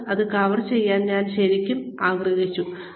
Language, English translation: Malayalam, I really wanted to cover this today